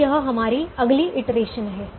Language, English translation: Hindi, so this is our next iteration